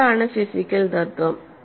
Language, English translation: Malayalam, And what is the physical principle